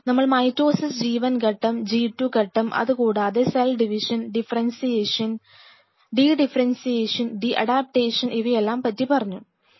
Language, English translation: Malayalam, So, we will be having mitosis phase G 1 phase synthesis phase G 2 phase and talked about cell division then we talked about differentiation then dedifferentiation and de adaptation; this is what we have already covered